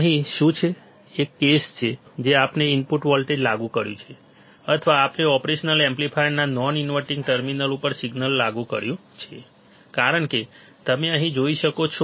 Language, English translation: Gujarati, Here, what is the case, the case is that we have applied the input voltage or we applied the signal to the non inverting terminal of the operational amplifier as you can see here right